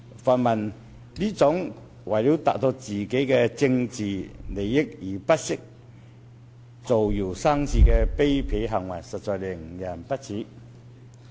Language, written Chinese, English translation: Cantonese, 泛民這種為了政治利益而不惜造謠生事的卑鄙行為，實在令人不齒。, This contemptible act of pan - democratic Members to spread rumours for political benefits is simply despicable